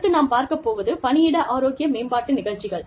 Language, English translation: Tamil, We also have, workplace health promotion programs